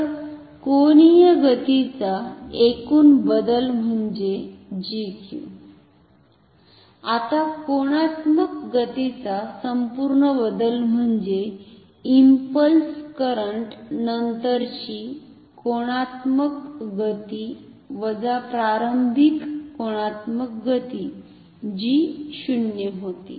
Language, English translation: Marathi, So, the total change of angular momentum is G Q, now total change of angular momentum is nothing, but the angular momentum after the impulse current minus the initial angular momentum which was 0